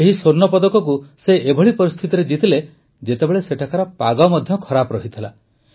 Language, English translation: Odia, He won this gold in conditions when the weather there was also inclement